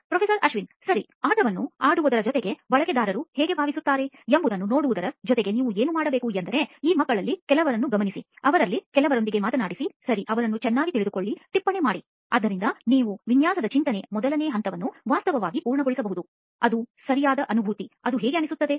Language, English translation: Kannada, Right, what you should also do in addition to playing the game and seeing how users feel is actually go out and observe some of these kids, talked to some of them, right, get to know them better, step into the shoes, so you can actually complete the first phase of design thinking, which is to empathize right, how does that sound